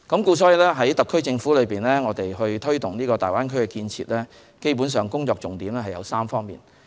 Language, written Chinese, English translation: Cantonese, 特區政府在推動大灣區建設基本上有3方面的工作重點。, In promoting the development of the Greater Bay Area the SAR Government basically has three key areas of work